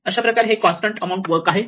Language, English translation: Marathi, So, it is a constant amount of work